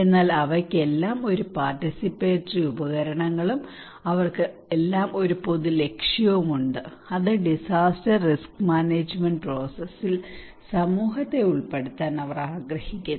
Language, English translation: Malayalam, But all of them, all participatory tools, they have one common objective that is they wanted to involve community into the disaster risk management process